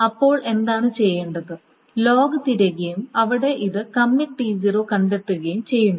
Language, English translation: Malayalam, Then what needs to be done is that again the log is searched and here this commit T0 is being found